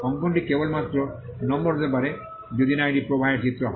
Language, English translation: Bengali, The drawing can only be number unless it is a flow diagram